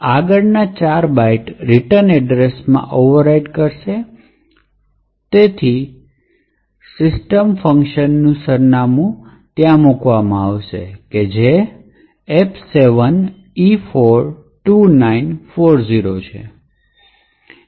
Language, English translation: Gujarati, The next four strings would be overriding the return address, so in little Indian format will put the address of the system function that is F7E42940